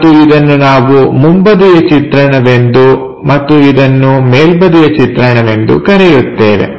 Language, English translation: Kannada, And, this one what we call front view and this one top view